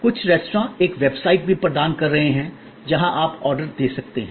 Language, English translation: Hindi, Some restaurants are even providing a website, where you can place the order